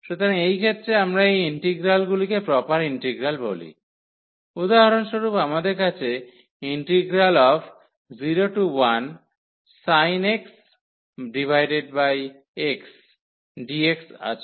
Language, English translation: Bengali, So, in this case we call such integrals proper integral or for example, we have 0 to 1 sin x over x dx